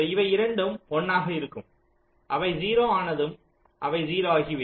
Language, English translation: Tamil, initially both are one one, so it will be zero, and after that both are zero